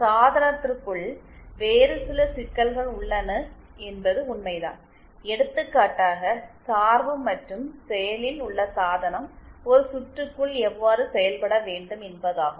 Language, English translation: Tamil, It is true that there are other intricacies within the device for example the biasing and how the active device should be acting within a circuit